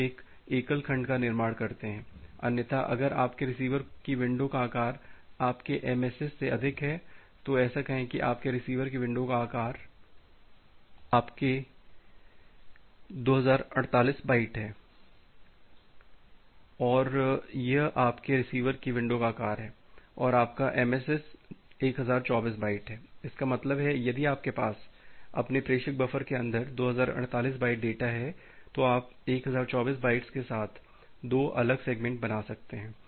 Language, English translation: Hindi, So, you construct a single segment, otherwise if that is the case if your receiver window size is more than your MSS, say your receiver window size is 2048 byte and that is your receiver window size and your MSS is 1024 byte; that means, you can if you have 2048 byte of data in your inside your sender buffer, then you can create 2 different segments with 1024 bytes